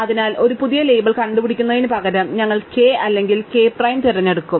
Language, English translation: Malayalam, So, rather than invent a new label, we will choose either k or k prime